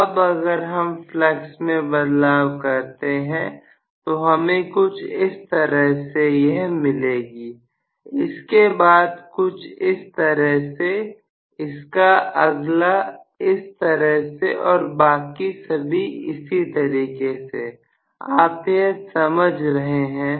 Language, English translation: Hindi, Now, if I try to vary the flux I am going to have probably one of them somewhat like this the next one some of like this, the next one may be like this and so on so are you getting my point